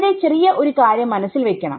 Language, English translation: Malayalam, So, there is just some small thing to keep in mind